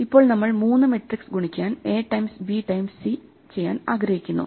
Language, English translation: Malayalam, If we have to do three matrices, we have to do in two steps A times B and then C, or B times C and then A